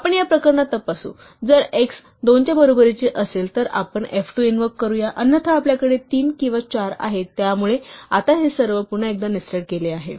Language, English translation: Marathi, Then we check in this case, if x is equal to 2 then we do f2 otherwise, we have 3 or 4, so now all of this is nested once again